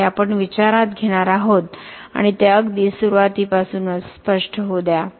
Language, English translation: Marathi, This is what we are going to consider and let that be clear right from the beginning